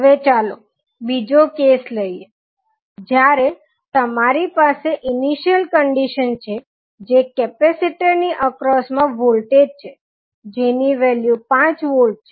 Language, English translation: Gujarati, Now, let us see another case, when you have the initial condition that is voltage V across the capacitor and the value is 5 volts